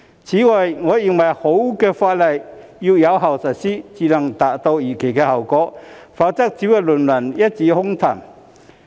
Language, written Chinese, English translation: Cantonese, 此外，我認為好的法例要經有效實施才能達到預期的效果，否則只會淪為一紙空談。, Moreover I think a good piece of legislation has to go through effective implementation in order to achieve the expected results or else it will just be reduced to an empty talk